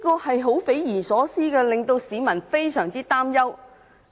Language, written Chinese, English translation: Cantonese, 這種事情匪夷所思，令市民非常擔憂。, The incident is simply inconceivable and extremely worrying